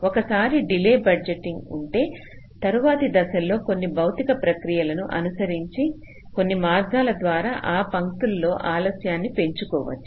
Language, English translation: Telugu, so once we have the delay budgeting, at a subsequent step we can do some physical process by which you can actually increase the delays in those lines by some means